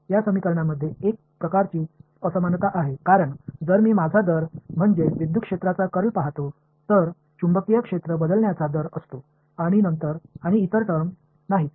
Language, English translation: Marathi, There is a sort of asymmetry in these equations right because if I look at rate of I mean the curl of electric field, there is a rate of change of magnetic field and no other term